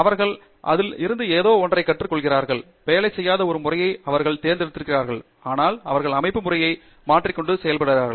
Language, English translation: Tamil, They learn something from it, maybe they have chosen a system that doesn’t work and so on, they change the system and go on